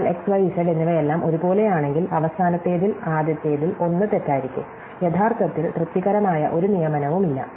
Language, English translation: Malayalam, But if then x, y and z all the same, then either one of the first of the last was going to be false, actually there is no satisfying assignment